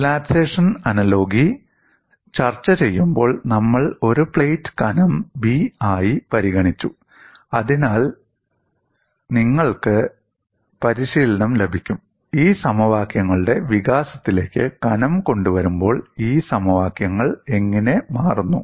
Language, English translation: Malayalam, While discussing the relaxation analogy, we considered a plate of thickness b so that you get trained, how these equations change when the thickness is brought into the development of these equations